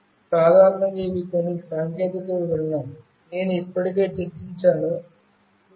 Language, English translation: Telugu, Basically, these are some technical specification, which I have already discussed, like 2